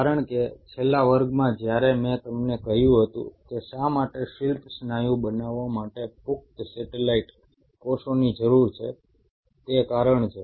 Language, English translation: Gujarati, I am telling you this story because in the last class when I told you why you needed adult satellite cells to make skeletal muscle is the reason